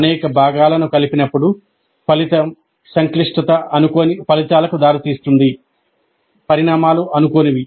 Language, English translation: Telugu, When many parts are put together, the resulting complexity can lead to results which are unintended